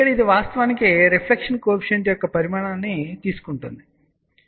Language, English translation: Telugu, You can see here that this one here is actually taking magnitude of Reflection Coefficient